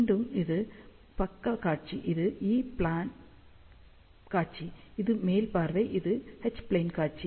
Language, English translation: Tamil, So, again this is the side view, this is the E plane view, this is the top view, which is H plane view